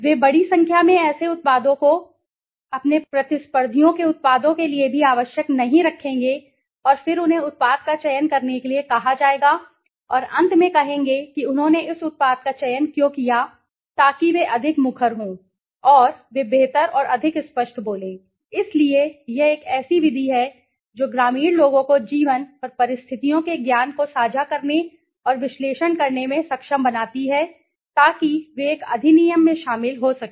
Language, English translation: Hindi, They would keep large number of products not necessary their products their competitors products also and then they would be asked to select the product and say and finally say why did they select this products right so by participating they are more vocal and they speak better and more clear okay, so it is the method which enables rural people to share enhance and analyses the knowledge of life and conditions to plan into an act